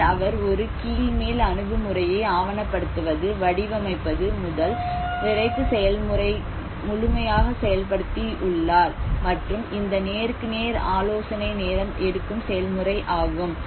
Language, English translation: Tamil, Where he have implemented a bottom up approach of completion from the documentation to the design to the erection process and the one to one consultation process has been its a time taking process